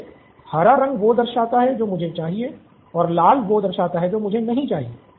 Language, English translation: Hindi, Yes, green is the stuff I want and red is the stuff I don’t want